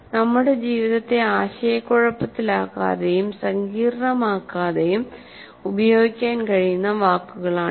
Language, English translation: Malayalam, Those are the words which we can use without confusing or making our lives complicated